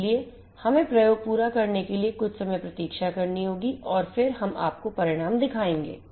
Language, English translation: Hindi, So, just let us waste some time to complete the experiment and then I we will show you the results